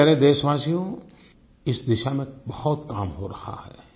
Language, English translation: Hindi, My dear fellow citizens, there is a lot of work being done in this direction